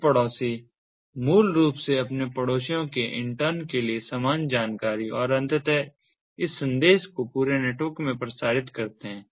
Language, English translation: Hindi, these neighbors, basically, they relay the same information to their neighbors intern and eventually this message space across throughout the network, the